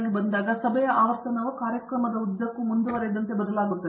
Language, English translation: Kannada, When you come to the meeting advisor, the frequency of meeting changes as the progresses along the program